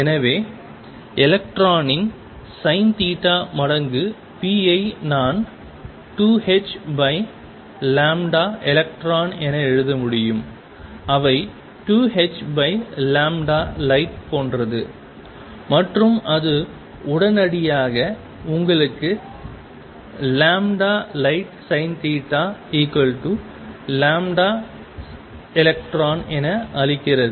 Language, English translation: Tamil, And therefore, sin theta times p of electron I can write as 2 times h over lambda electron, which is same as 2 times h over lambda light and that immediately gives you, that lambda light times sin theta equals lambda electron